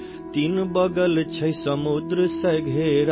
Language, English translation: Urdu, Surrounded by seas on three sides,